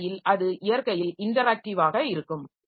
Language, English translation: Tamil, So, that way it remains interactive in nature